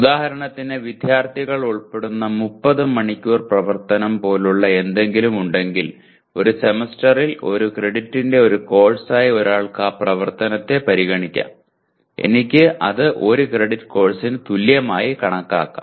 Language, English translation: Malayalam, For example one can consider any activity as a course of 1 credit over a semester if there are something like 30 hours of activity are involved or students are involved in 30 hours of activity over a semester, I can consider equivalent to 1 credit course